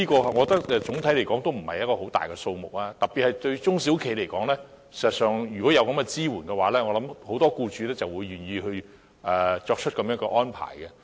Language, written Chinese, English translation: Cantonese, 我認為整體而言，這也不算是一個大數目，特別是對中小企而言，如果有這些支援，我相信很多僱主也會願意作出這種安排。, I believe that on the whole the amount would not be very large but for small and medium enterprises in particular many employers will be willing to make this kind of arrangements if this kind of support is available